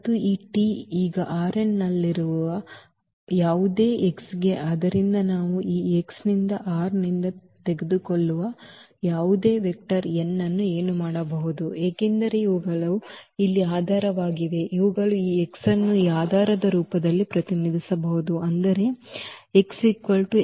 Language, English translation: Kannada, And this T is a for any x now in R n, so any vector we take from this x from R n what we can because these are the basis here these are the standard basis we can represent this x in the form of this basis; that means, this x can be represented as x 1 e 1